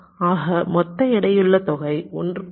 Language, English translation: Tamil, so the total weighted sum is one